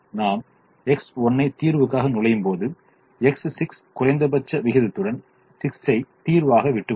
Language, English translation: Tamil, when we enter x one into the solution, x six will leave the solution with minimum ratio of six